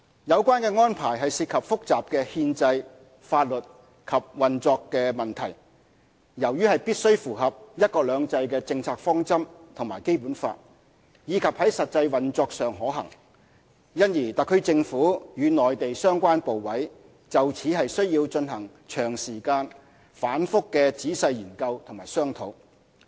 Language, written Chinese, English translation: Cantonese, 有關安排涉及複雜的憲制、法律及運作問題，由於必須符合"一國兩制"的政策方針和《基本法》，以及在實際運作上可行，因而特區政府與內地相關部委就此需進行長時間、反覆的仔細研究與商討。, The relevant arrangement involves many complicated constitutional legal and operational issues . Since it must be in compliance with the policy of one country two systems and the Basic Law as well as being operationally feasible the Government needs to engage in lengthy repeated and thorough studies and discussions with the relevant Mainland authorities